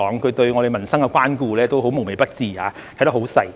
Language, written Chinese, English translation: Cantonese, 他對我們民生的關顧也很無微不至，看得很仔細。, He is very concerned about the livelihood of our people and has made very detailed observations